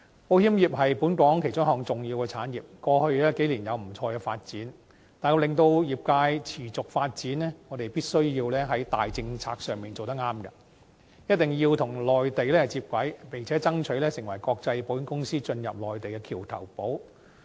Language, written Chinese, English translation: Cantonese, 保險業是本港其中一項重要產業，過去數年有不錯的發展，但要令業界持續發展，我們必須在重大政策上做得對，一定要與內地接軌，並且爭取成為國際保險公司進入內地的橋頭堡。, As one of the important industries of Hong Kong the insurance industry has developed quite well over the past several years . But to facilitate the sustainable development of the industry we must act correctly in terms of major policies . We must integrate with the Mainland and strive to become the bridgehead for international insurance companies to enter the Mainland